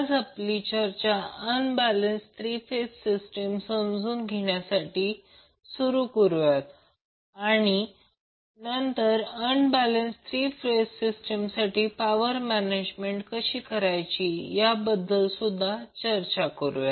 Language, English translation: Marathi, Today we will start our discussion with the understanding about the unbalanced three phase system and then we will also discuss how to measure the power in case of unbalanced three phase system